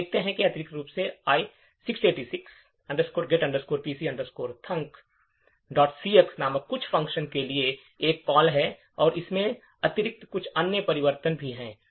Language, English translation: Hindi, So, what we see is that additionally there is a call to some function called I686 get pc thunk and additionally there are certain other changes as well